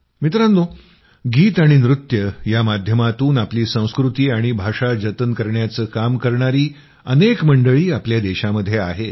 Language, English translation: Marathi, Friends, there are many people in our country who are engaged in preserving their culture and language through songs and dances